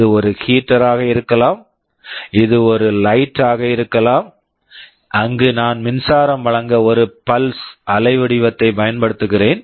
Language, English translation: Tamil, Well, it can be a heater; it can be light, where I am applying a pulse waveform to provide with the power supply